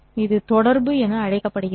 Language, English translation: Tamil, This is called as correlation